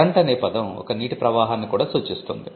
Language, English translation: Telugu, Current can also mean flow of water